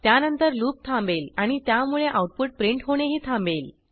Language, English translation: Marathi, It subsequently breaks out of the loop and stops printing the output